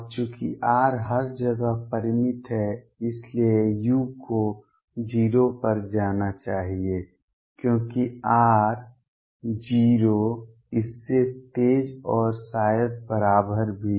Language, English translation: Hindi, And since R is finite everywhere u should go to 0 as r tends to 0 faster than and maybe equal to also